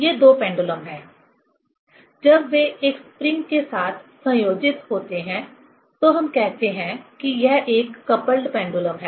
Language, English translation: Hindi, These are two pendulums; when they are coupled with a spring, then we tell this is a coupled pendulum